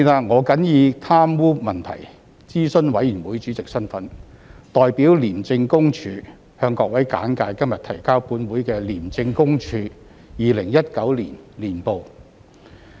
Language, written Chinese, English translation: Cantonese, 我謹以貪污問題諮詢委員會主席身份，代表廉政公署，向各位簡介今日提交本會的廉政公署2019年報。, In my capacity as the Chairman of the Advisory Committee on Corruption I hereby brief Members on the Independent Commission Against Corruption Hong Kong Special Administrative Region Annual Report 2019 tabled in the Council today on behalf of ICAC